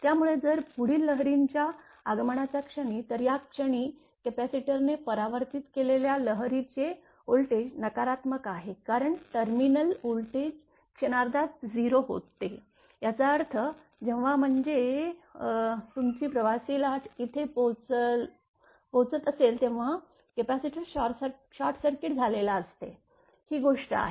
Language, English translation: Marathi, So, if capacitor act at that instant of arrival of the forward wave, so at this moment the reflected voltage wave is negative because the terminal voltage is momentarily 0; that means, when your traveling wave is arriving here traveling wave that capacitor is short circuited; that means, your; that means, your this thing, this one